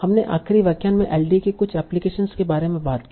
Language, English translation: Hindi, Now we talked about certain applications of LDA in the last lecture